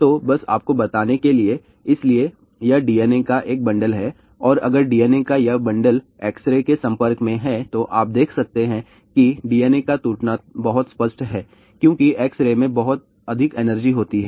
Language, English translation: Hindi, So, just to tell you , so this is a bundle of the DNA and if this bundle of DNA is exposed to X ray , you can see that DNA breaks are very obvious because X ray has a much higher energy